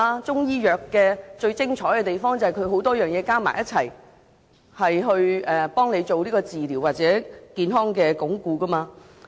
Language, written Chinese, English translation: Cantonese, 中醫藥最精彩之處便是以多種中藥混合煎煮為病人治療或鞏固健康。, What is most amazing with Chinese medicines is that many kinds of Chinese medicines are mixed in preparing herbal decoctions for treatment or health fortification